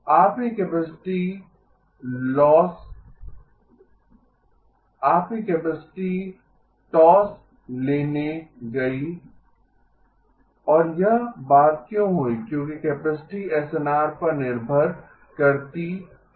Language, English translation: Hindi, Your capacity went for a toss and why did this thing happen because capacity depends on SNR